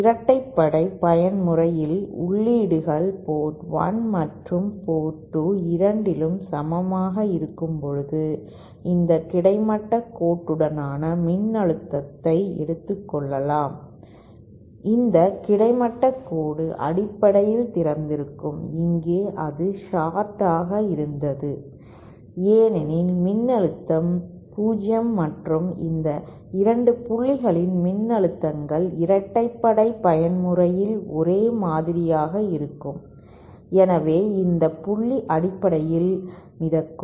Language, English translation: Tamil, Similarly in the even mode, when the inputs are equal at both the port 1 and port 2, this line along the can assume the voltage along this horizontal line is this horizontal line is basically open, here it was a short because the voltage was 0 and because the voltages of these 2 points are same for the even mode, hence this point is basically floating